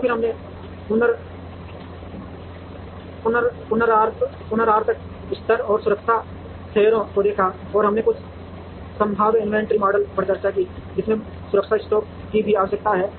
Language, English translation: Hindi, And then we saw the reorder levels, and the safety stocks, and we discussed some probabilistic inventory models, which also spoke about the safety stock that is required